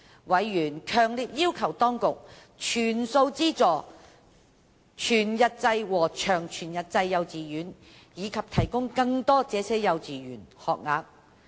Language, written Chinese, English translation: Cantonese, 委員強烈要求當局，全數資助全日制和長全日制幼稚園，以及提供更多這些幼稚園學額。, Members strongly requested the Administration to provide full subsidies and more places to WD and LWD KGs